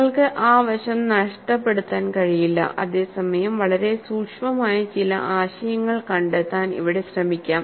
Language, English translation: Malayalam, You cannot miss that aspect, whereas, here you may try to find out some very subtle aspects